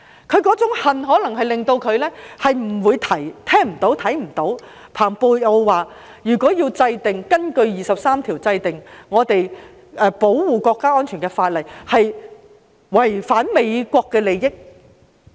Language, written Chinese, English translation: Cantonese, 他那種恨可能令他聽不到、看不到蓬佩奧所說的有何問題，即如果根據《基本法》第二十三條制定保護國家安全的法例，將會違反美國的利益。, Am I right? . His hatred may have prevented him from hearing and seeing the problems with the remarks of Michael R POMPEO which states that the interest of the United States would be violated if legislation is enacted for Article 23 of the Basic Law to safeguard national security